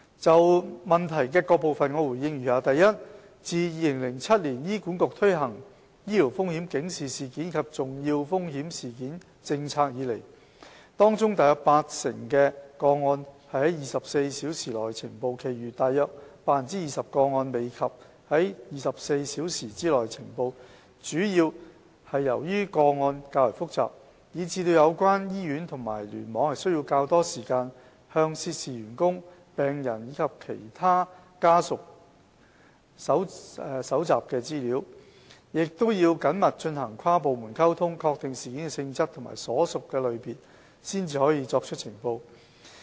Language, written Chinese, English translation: Cantonese, 就質詢的各部分，我答覆如下：一自2007年醫管局推行醫療風險警示事件及重要風險事件政策以來，當中約 80% 的個案是在24小時內呈報，其餘約 20% 個案未及在24小時內呈報，主要是由於個案較為複雜，以致有關醫院及聯網需要較多時間向涉事員工、病人及其家屬搜集資料，亦要緊密進行跨部門溝通，確定事件的性質及所屬類別，方可作出呈報。, My reply to the various parts of the question is as follows 1 Since the implementation of the Policy by HA in 2007 about 80 % of cases were reported within 24 hours . The remaining cases could not be reported within 24 hours mainly because they were more complicated that the hospitals and clusters concerned might need more time to gather information from the staff members patients and their family members and to maintain close liaison with relevant departments before determining the nature and category of the events and reporting the cases